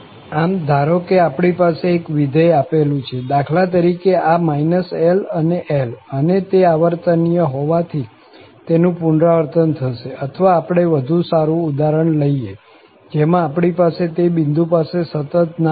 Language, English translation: Gujarati, So, suppose here we have a function which is given, for example, this minus L to L and since it is periodic, so it will repeat again, or, let us take a better example where we have actually, no continuity at that point